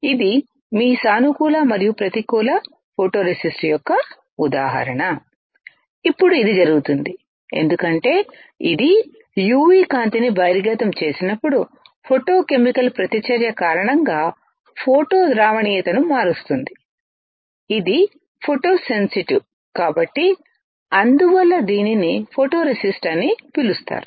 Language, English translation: Telugu, This example of your positive and negative photoresist Now, this happens because it changes the photo solubility due to photochemical reaction under the expose of UV light as this is photosensitive which is why it is called photoresist